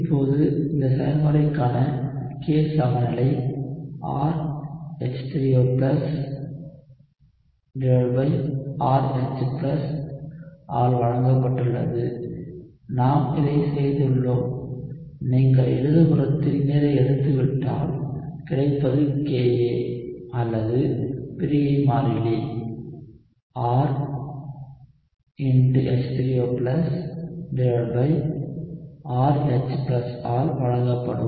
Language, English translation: Tamil, So, now, the K equilibrium for this process is given by R concentration of H3O+ divided by RH+ we had done this and I had told you if you take water on the left side, what you get would be the Ka or dissociation constant would be given by R H3O+ divided by RH+